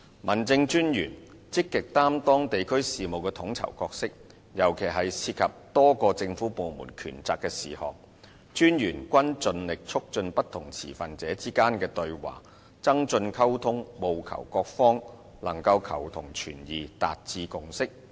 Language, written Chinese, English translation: Cantonese, 民政事務專員積極擔當地區事務的統籌角色，尤其是涉及多個政府部門權責的事項，民政事務專員均盡力促進不同持份者之間的對話，增進溝通，務求各方能求同存異和達致共識。, District Officers have assumed an active role in coordinating district affairs especially for those issues involving the powers and responsibilities of a number of government departments . District Officers have spared no effort in promoting dialogue among different stakeholders and strengthening communication hoping that various parties may seek common ground while accommodating differences and forge a consensus